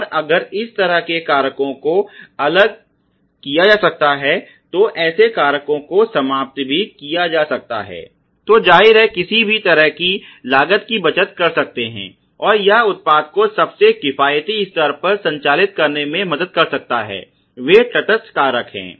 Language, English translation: Hindi, And if such factors can be isolated and such factors can be eliminated it may obviously, lead over all to some kind of cost saving you know, and can help the product to operate at the most economical level ok those are the neutral factors